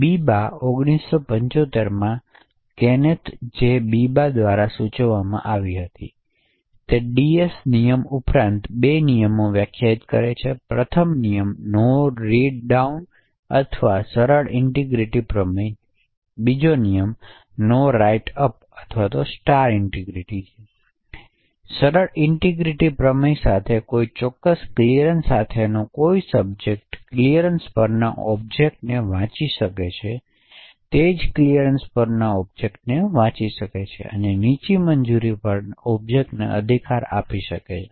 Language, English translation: Gujarati, in 1975 and it defines two rules in addition to the DS rule, the first rule is no read down or the simple integrity theorem, while the second rule is no write up or the star integrity theorem, so with the simple integrity theorem a particular subject with a certain clearance could read objects which are at a clearance, it can also read objects at the same clearance and it can right to objects at a lower clearance